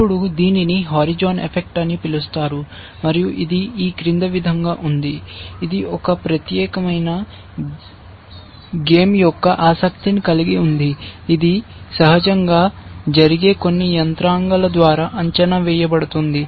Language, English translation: Telugu, Now, this something called the horizon effect, and this is as follows that, this supposing, there is one particular line of play which is of interest, which is being evaluated by certain mechanism as which happens naturally in this